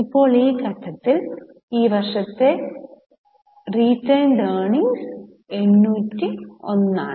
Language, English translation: Malayalam, Now at this stage we get the retained earning for the current year which is 801